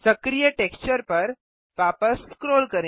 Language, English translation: Hindi, Scroll back to the active texture